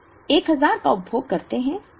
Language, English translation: Hindi, We order 1000 we consume all 1000